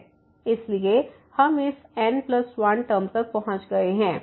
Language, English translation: Hindi, So, we have gone up to this plus 1 term